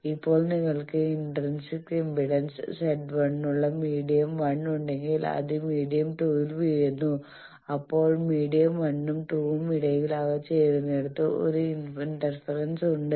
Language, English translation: Malayalam, Now, what I said that if you have a medium 1 with intrinsic impedance Z 1 and then it falls on a medium 2, so there is an interface between the medium 1 and 2 where they are joining